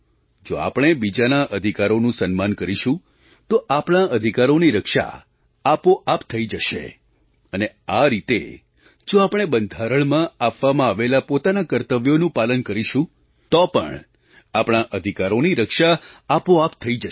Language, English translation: Gujarati, If we respect the rights of others, our rights will automatically get protected and similarly if we fulfill our duties, then also our rights will get automatically protected